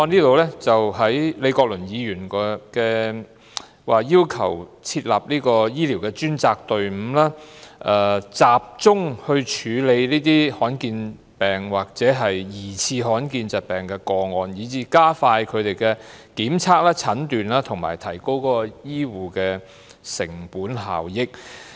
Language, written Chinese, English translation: Cantonese, 李國麟議員的修正案要求設立醫療專責隊伍，集中處理罕見疾病或疑似罕見疾病的個案，加快他們的檢驗、診斷及提高醫護的成本效益。, Prof Joseph LEEs amendment asks for the establishment of a dedicated medical team to centralize the handling of rare diseases or suspected rare disease cases expediting the testing and diagnosis of rare diseases and thereby raising the cost - effectiveness of health care